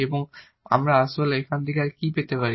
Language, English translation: Bengali, And what else we can actually get out of this